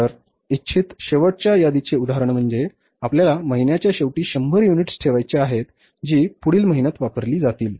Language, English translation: Marathi, So, desired ending inventory, for example, you want to keep 100 units at the end of the month which will be used the next month